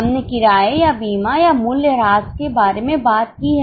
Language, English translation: Hindi, We have talked about rent or insurance or depreciation